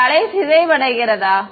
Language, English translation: Tamil, Does this wave decay